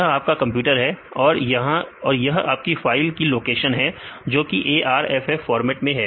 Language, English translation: Hindi, So, this is your computer then this is the location of the file; this in arff format